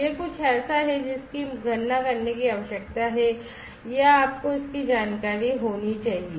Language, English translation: Hindi, This is something that is required to be calculated or to be you know you need to have this information